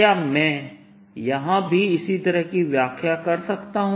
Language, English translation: Hindi, can i have a similar interpretation here in